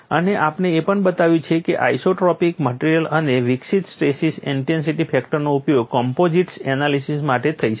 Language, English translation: Gujarati, And we have also shown whatever the stress intensity factor developed for isotropic material could be used for composites analysis